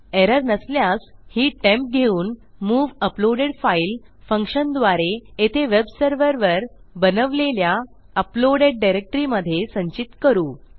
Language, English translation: Marathi, If not well take this temp and well use a specific function called move uploaded file and well take that and store it in our uploaded directory created on my web server here